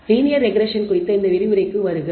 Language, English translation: Tamil, Welcome to this lecture on Regression Techniques